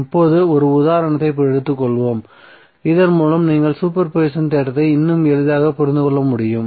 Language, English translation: Tamil, Now let us take one example so that you can understand the super position theorem more clearly